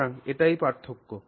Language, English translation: Bengali, So, that's the difference